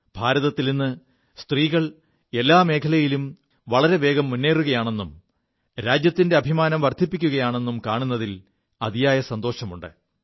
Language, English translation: Malayalam, It's a matter of joy that women in India are taking rapid strides of advancement in all fields, bringing glory to the Nation